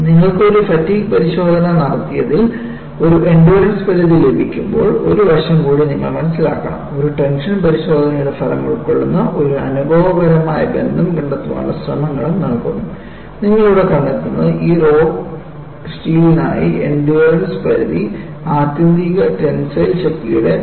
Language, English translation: Malayalam, And you will also have to appreciate one more aspect, when you have got this endurance limit, for which you have to perform a fatigue test, there are also attempts to find out an empirical relation, involving the result of a tension test; and what you find here is, the endurance limit is given for this rod steel as 0